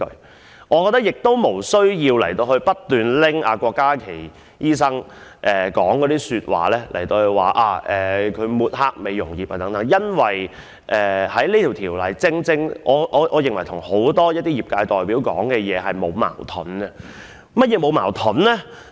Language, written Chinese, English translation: Cantonese, 同時，我亦認為不需要不斷以郭家麒議員的發言來指責他抹黑美容業界，因為我認為《條例草案》與很多業界代表的發言沒有矛盾。, At the same time I also consider it unnecessary to keep accusing Dr KWOK Ka - ki of smearing the beauty industry by quoting him because I think there is no conflict between the Bill and the speeches made by representatives of many sectors